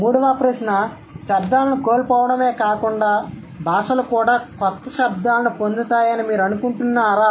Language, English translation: Telugu, The third question, besides losing sounds, do you think languages also gain new sounds